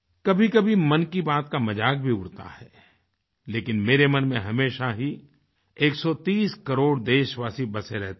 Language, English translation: Hindi, At times Mann Ki Baat is also sneered at but 130 crore countrymen ever occupy a special pleace in my heart